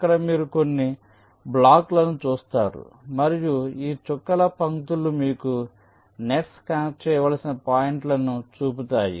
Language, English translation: Telugu, so so here you see some blocks and this dotted lines show you ah, the nets, the points which need to be connected